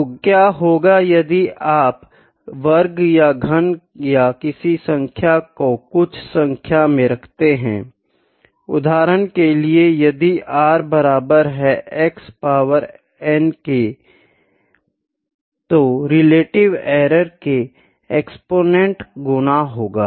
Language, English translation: Hindi, So, what if you square or cube or put some degree to a number, for instance if r is equal to x power n, the relative error is the exponents times the relative error